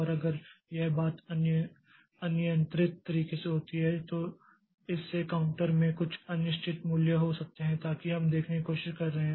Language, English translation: Hindi, And if this thing happens in an uncontrolled fashion, then it can lead to some inconsistent value in the counter so that we are trying to see